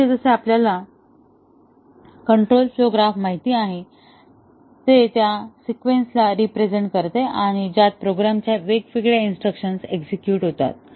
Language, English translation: Marathi, Here, as we know the control flow graph, it represents the sequence in which the different instructions of a program get executed